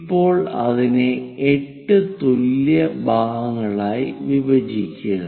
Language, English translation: Malayalam, Now, divide that into 8 equal parts